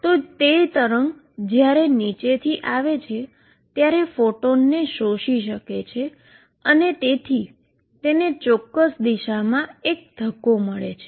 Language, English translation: Gujarati, It may absorb a photon from wave coming down and therefore, it gets a kick in certain direction